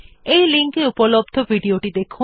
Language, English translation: Bengali, Watch the video available the following link